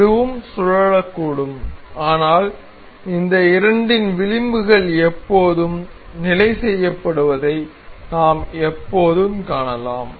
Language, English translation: Tamil, This can also rotate, but we can see always that this the edges of these two are always fixed